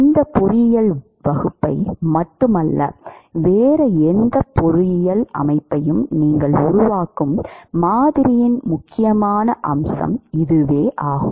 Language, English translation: Tamil, This is an important aspect of the model that you would construct not just this engineering class, but any other engineering system